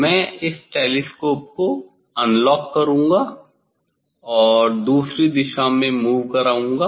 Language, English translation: Hindi, I will unlock this telescope and move other direction